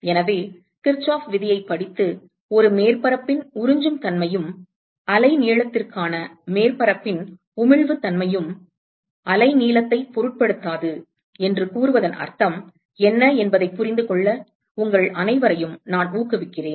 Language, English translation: Tamil, So, I would encourage all of you to you know read Kirchoff’s law and understand what it really means to say that the absorptivity of a surface and the emissivity of a surface for a wavelength is independent of the wavelength